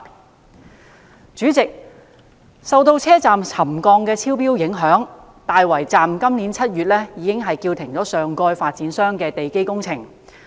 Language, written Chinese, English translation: Cantonese, 代理主席，受到車站沉降超標影響，大圍站今年7月已將上蓋發展商的地基工程叫停。, Deputy President the foundation works carried out by the developer of the topside development at the Tai Wai Station were suspended in July this year as a result of the ground settlement exceeding the set thresholds there